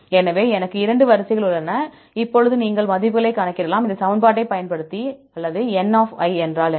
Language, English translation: Tamil, So, I have the 2 sequences; now you can calculate the values, right using this equation or what is n